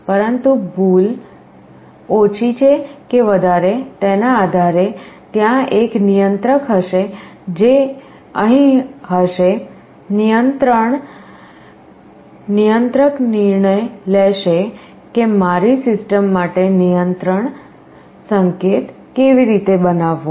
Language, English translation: Gujarati, But depending on the error whether it is less than or greater than, there will be a controller which will be sitting here, controller will take a decision that how to generate a control signal for my system